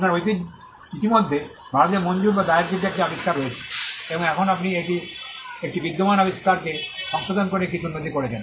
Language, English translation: Bengali, You already have an invention, granted or filed in India, and now you have made some improvements in modification to an existing invention